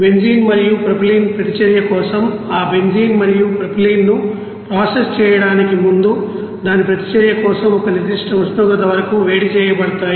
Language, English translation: Telugu, And before going to process those benzene and propylene for a reaction that benzene and propylene are heated up to a certain temperature of for its reaction